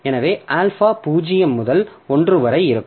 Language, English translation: Tamil, So, alpha is between 0 and 1